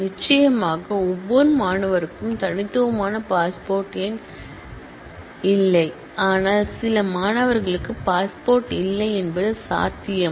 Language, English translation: Tamil, Of course, not every student has a unique passport number, but it is possible that some student does not have a passport